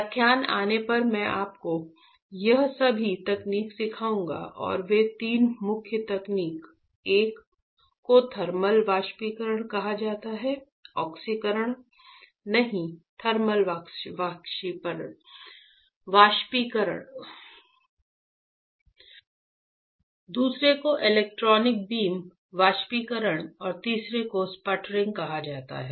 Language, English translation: Hindi, I will teach you all these techniques when the lecture comes right and those techniques three main techniques; one is called Thermal evaporation, not oxidation Thermal evaporation, second is called Electron Beam evaporation and third one is called Sputtering